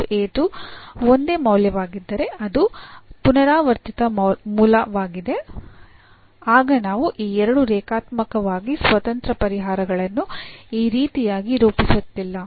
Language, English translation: Kannada, If alpha 1 alpha 2 are the same value it’s a repeated root then we are not forming these two linearly independent solutions in this way